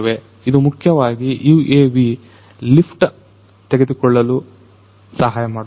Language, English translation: Kannada, And, this basically will help this UAV to take the lift